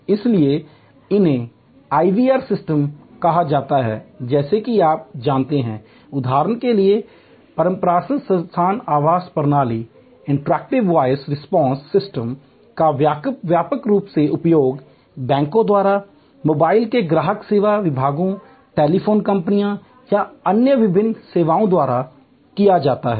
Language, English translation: Hindi, So, these are called IVR system as you know for example, Interactive Voice Response system widely use now by banks, by customer service departments of mobile, telephone companies or and various other services